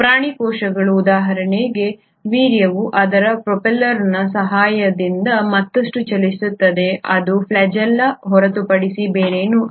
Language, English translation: Kannada, Animal cells for example sperm will propel further with the help of its propeller which is nothing but the flagella